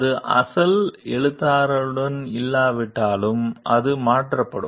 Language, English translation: Tamil, And even if it does not remain with the original author, it gets transferred